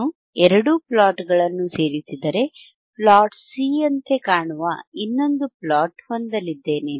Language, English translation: Kannada, If I join both plots, I will have plot which looks like this, right, which is my plot C, right